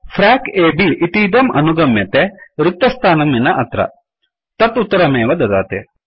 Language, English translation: Sanskrit, It follows that frac A B here, without the space here, will also give the same answer